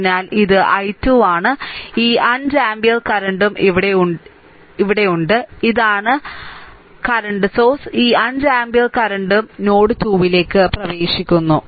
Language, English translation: Malayalam, So, this is i 2 then this 5 ampere current also here, this is current source, this 5 ampere current also entering into node 2